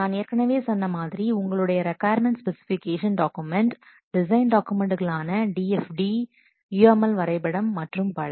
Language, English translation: Tamil, Like as I have already told you, requirement specification document, design documents, such as the DFD, GML diagrams, etc